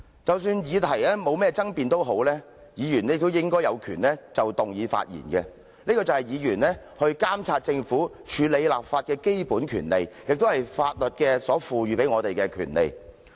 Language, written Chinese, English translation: Cantonese, 即使議題沒有爭議性，議員亦應有權就議案發言，這是議員監察政府和處理立法工作的基本權利，也是法律賦予議員的權利。, Even if the subject of the motion is uncontroversial Members should also have the right to speak on the motion as this is the basic right of Members in monitoring the Government and handling legislative tasks and such rights are legally granted to Members